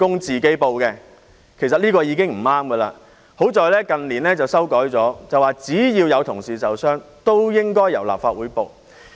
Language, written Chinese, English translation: Cantonese, 這樣做其實已經不對，幸好近年修改了做法，萬一有同事受傷，均由立法會作出申報。, In fact it is already erroneous to do so . Fortunately the practice has been revised in recent years and now the Legislative Council will make a report when a colleague has got injured